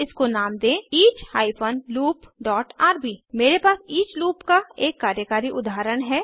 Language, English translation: Hindi, And name it each hyphen loop dot rb I already have a working example of the each loop